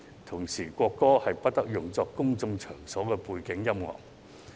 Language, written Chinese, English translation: Cantonese, 同時，國歌不得用作公眾場所的背景音樂。, At the same time the national anthem must not be used as background music in a public place